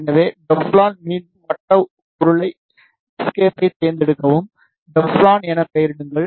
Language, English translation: Tamil, So, to make Teflon again select circular cylinder escape name it as Teflon give the variables